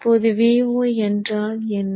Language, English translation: Tamil, So now what would be V0